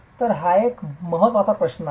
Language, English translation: Marathi, So, that is an important question